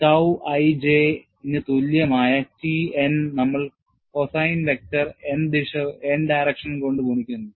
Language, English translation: Malayalam, We have T n equal to tau i j multiplied by the direction cosine vector n